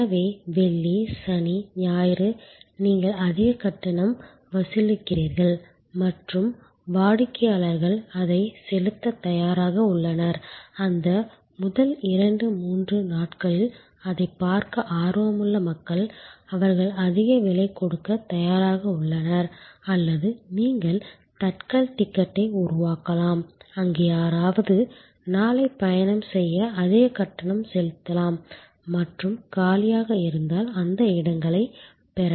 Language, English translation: Tamil, So, Friday, Saturday, Sunday you charge higher and customer's are ready to pay that, people who are eager to see it during those first two three days, they are prepared to pay higher price or you can create a tatkal ticket, where somebody who are to travel tomorrow can pay higher and get those seats if there available vacant